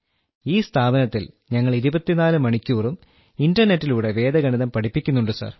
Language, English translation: Malayalam, Under that organization, we teach Vedic Maths 24 hours a day through the internet, Sir